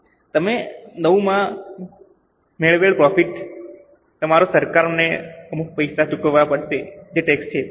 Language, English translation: Gujarati, So, on the profits which you have earned in 9, you will have to pay some money to government, that is the taxes